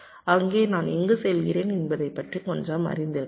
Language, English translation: Tamil, there itself i can be a little bit aware of where i am heading to